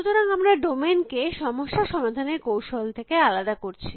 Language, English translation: Bengali, So, what we are trying to do is to separate the domain from the problem solving strategy